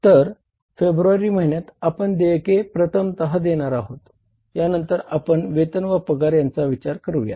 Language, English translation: Marathi, So, this is the first payment we are going to make in the month of February and then we talk about the wages and salaries